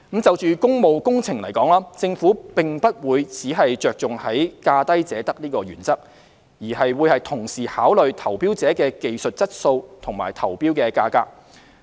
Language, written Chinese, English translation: Cantonese, 就工務工程而言，政府並不會只着重價低者得的原則，而會同時考慮投標者的技術質素及投標價格。, As far as public works projects are concerned the Government will not only put emphasis on the lowest bid wins principle but will also consider the technical quality and tender prices of bidders